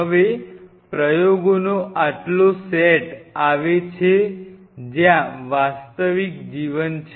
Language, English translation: Gujarati, Now comes the next set of experiments where the real life